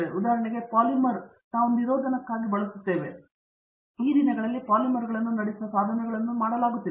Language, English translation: Kannada, For example, polymer which we use for insulation, but these days devices are being made from conducting polymers